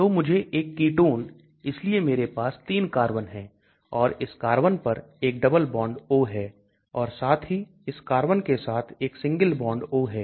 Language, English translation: Hindi, So I want a ketone so I have 3 carbons and there is a double bond O on this carbon as well as there is a single bond O with this carbon